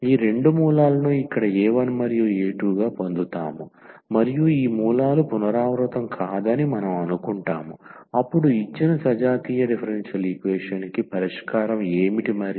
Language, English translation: Telugu, So, we will get this two roots here alpha 1 and alpha 2 and we assume that these roots are non repeated, then what will be the solution of the given homogeneous differential equation